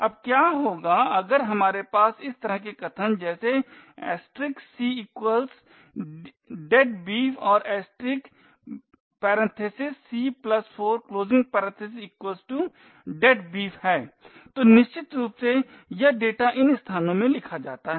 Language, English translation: Hindi, Now what would happen if we have statements such as this *c=deadbeef and *(c+4) = deadbeef, so essentially this data gets written into these locations